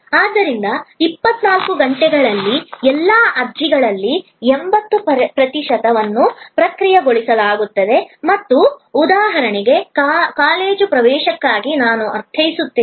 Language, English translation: Kannada, So, 80 percent of all applications in 24 hours will be processed and I mean for a college admission for example